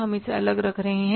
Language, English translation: Hindi, We are keeping setting it aside